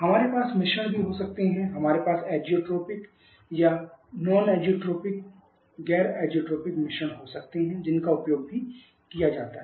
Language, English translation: Hindi, We can also mixtures we can have isotropic or zeotropic mixtures that are also used